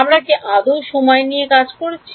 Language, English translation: Bengali, Did we deal with time at all